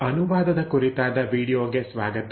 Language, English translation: Kannada, So, welcome back to the video on translation